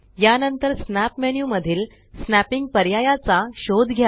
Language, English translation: Marathi, After that, explore the snapping options in the snap menu